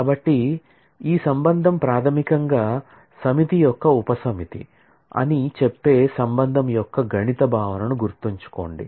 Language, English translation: Telugu, So, recall the mathematical notion of relation which says that a relation is basically a subset of a set